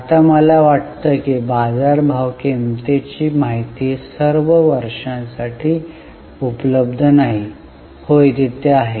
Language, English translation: Marathi, Now, I think market price information is not available for all the years